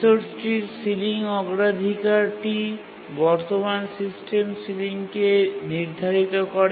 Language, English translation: Bengali, So the ceiling priority of the resource is assigned to the current system ceiling